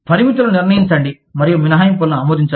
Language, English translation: Telugu, Set limits and approve exceptions